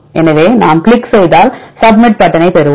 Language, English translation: Tamil, So, if we click we get the submit button